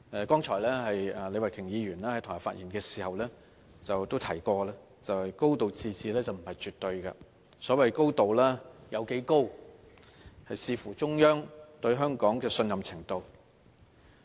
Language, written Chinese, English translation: Cantonese, 剛才李慧琼議員在台下發言時提及，"高度自治"並不是絕對的，所謂的"高度"有多高，視乎中央對香港的信任程度。, Ms Starry LEE said just now in her speech that a high degree of autonomy is not absolute and how high the degree of autonomy would depend on the level of confidence the Central Authorities have in Hong Kong